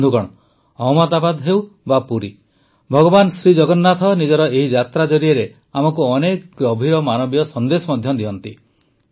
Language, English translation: Odia, Friends, be it Ahmedabad or Puri, Lord Jagannath also gives us many deep human messages through this journey